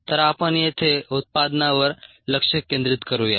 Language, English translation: Marathi, so let us concentrate on the product here